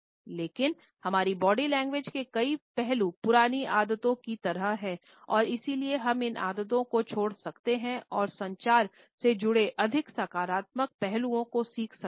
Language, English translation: Hindi, But, several aspects of our body language are like old habits and therefore, we can unlearn these habits and learn more positive aspects associated with the kinesics communication